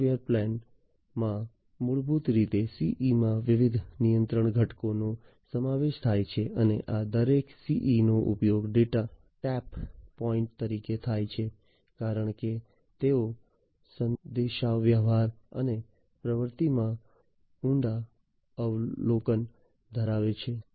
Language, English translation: Gujarati, The software plane basically consists of different control elements in the CEs, and each of these CEs is used as the data tap points, since they have deep observation into the communication and activities